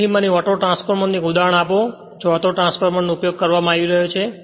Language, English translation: Gujarati, So, you tell me give one example of Autotransformer right, where where Autotransformer is being used right